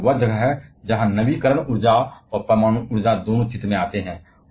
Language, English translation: Hindi, And that is where the renewal energy and nuclear energy both comes into picture